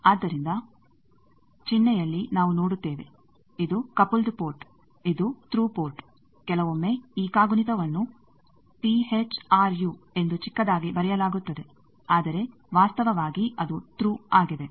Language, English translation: Kannada, So, you see in the symbol also we give that thing that this is coupled port this is through port, sometimes this spelling through also is written t h r u as a short, but actually it is through